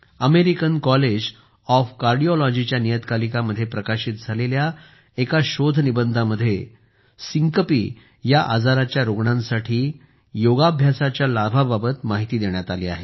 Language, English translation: Marathi, A paper published in the Journal of the American College of Cardiology describes the benefits of yoga for patients suffering from syncope